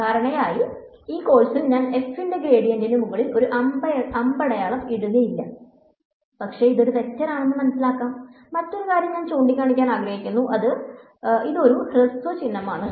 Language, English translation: Malayalam, Usually, in this course I will not be putting a arrow on top of the gradient of f, but it is understood that it is a vector, another thing I want to point out is that this is a shorthand notation